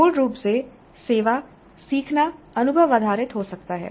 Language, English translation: Hindi, Basically service learning can be experience based